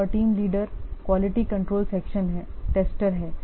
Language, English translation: Hindi, Another team leader, the quality control section is there